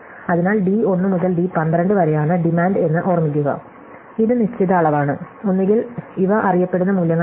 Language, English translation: Malayalam, So, remember that d 1 to d 12 was the demand, so this is a fixed quantity, either not variables these are known values